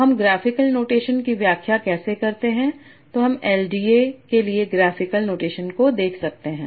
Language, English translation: Hindi, Then we can look at the graphical notation for LD